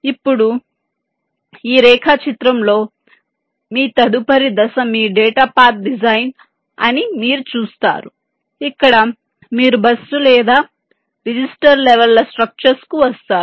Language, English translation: Telugu, now in this diagram you see that your next step is your data path design where you come to the bus or the register levels, structures